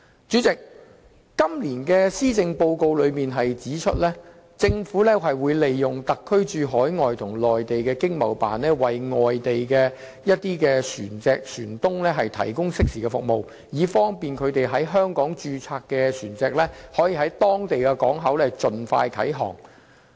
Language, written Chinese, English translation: Cantonese, 主席，今年的施政報告指出，政府會利用特區駐海外和內地的經濟貿易辦事處為外地船東提供適時的服務，以便他們在香港註冊的船隻可盡快啟航。, President it is pointed out in this years Policy Address that the Government will provide timely services to overseas shipowners through its Economic and Trade Offices ETOs overseas and in the Mainland thereby enabling their Hong Kong - registered ships to set sail promptly